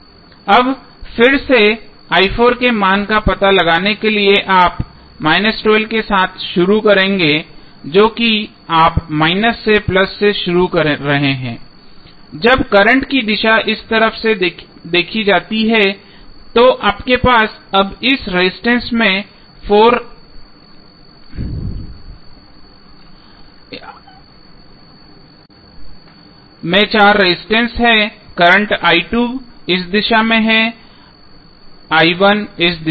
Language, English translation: Hindi, Now, again to find out the value of i 4 you will start with minus 12 that is you are starting from minus to plus when the direction of current is seen from this side then you have now four resistances in this resistance your current is i 2 in this direction, i 1 is in this direction